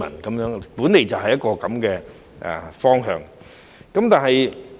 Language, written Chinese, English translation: Cantonese, 這本來就是應有的方向。, This is supposed to be the proper direction